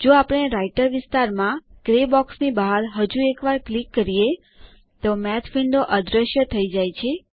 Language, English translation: Gujarati, If we click once outside the gray box in the Writer area, the Math windows disappear